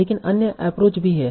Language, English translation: Hindi, But there are some other approaches also